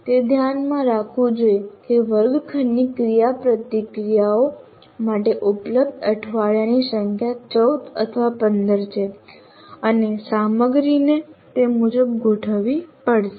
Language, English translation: Gujarati, So that should be kept in mind the number of weeks available for classroom interactions to 14 or 15 and the content will have to be accordingly adjusted